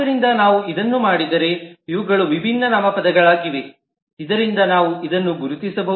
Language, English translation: Kannada, So if you do this, then these are the different nouns as we can identify from this